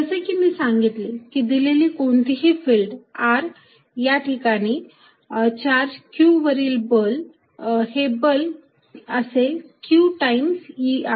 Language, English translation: Marathi, As I said is now that given any field E at r, the force on a charge q, put there is going to be q times this E r